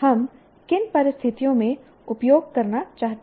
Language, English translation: Hindi, Under what conditions do we want to use